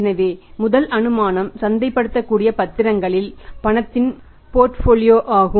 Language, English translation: Tamil, So first assumption is portfolio of cash and the marketable securities